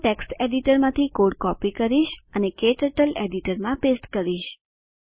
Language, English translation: Gujarati, Let me copy the program from text editor and paste it into KTurtle editor